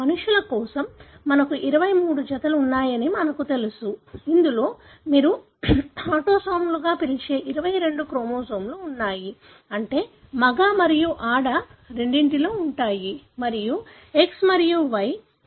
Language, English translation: Telugu, For humans, we know we have 23 pairs, which includes 22 chromosomes which you call as autosomes, meaning present in both male and female and the pair of sex chromosome that is X and Y